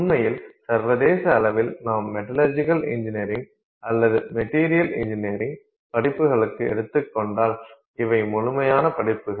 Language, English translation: Tamil, In reality if you go to metallurgical engineering or materials engineering courses anywhere internationally, these are complete courses